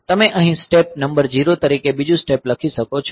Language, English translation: Gujarati, So, you can write another step as step number 0 here